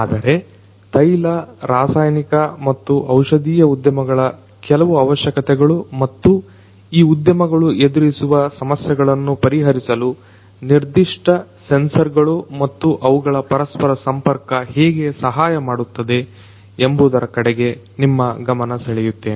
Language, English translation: Kannada, But I am going to expose you to some of the requirements that are specific to these industries oil chemical and pharmaceutical and how these specific sensors and their interconnectivity can help address the issues that these industry space face